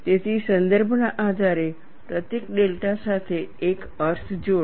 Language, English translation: Gujarati, So, depending on the context attach a meaning to the symbol delta